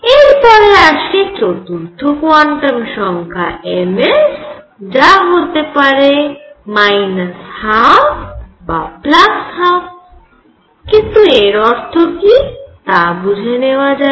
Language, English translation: Bengali, And then I have the 4th quantum number m s which could be minus half or plus half, let us see what does it mean